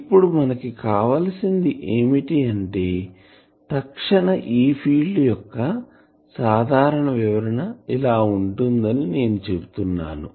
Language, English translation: Telugu, Now, what we require for our things is as I was saying that most general description of an instantaneous E field will be something